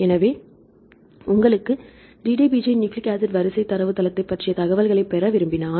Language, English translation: Tamil, So, if you want to get the information regarding DDBJ nucleic acid sequence database